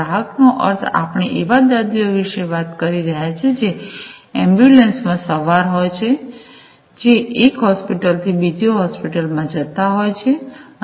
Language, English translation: Gujarati, A customers means, we are talking about the patients who are onboard the ambulances traveling from one hospital to another hospital